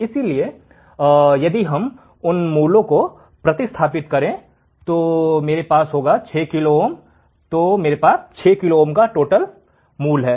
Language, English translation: Hindi, So, if we substitute the values what will I have, 6 kilo ohm, I have value of 6 kilo ohm